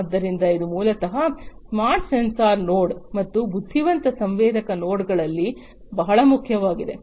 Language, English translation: Kannada, So, this is basically very important in a smart sensor node and intelligent sensor nodes